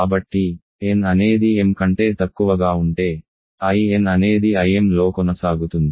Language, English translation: Telugu, So, if n is less than m, I n is continued in I m